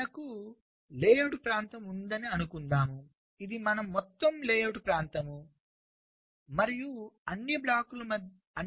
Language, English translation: Telugu, suppose i have the layout area, this is my total layout area, and all the blocks are in between